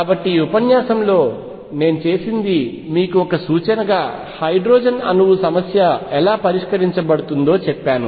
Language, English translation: Telugu, So, what I have done in this lecture is given to you an indication has to how hydrogen atom problem is solved